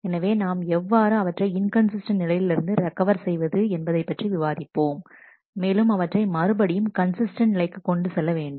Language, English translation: Tamil, So, we would like to discuss how to recover from that inconsistent state and bring it back to a consistent state